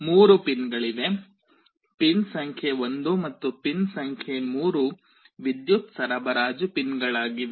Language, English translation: Kannada, There are 3 pins; pin number 1 and pin number 3 are the power supply pins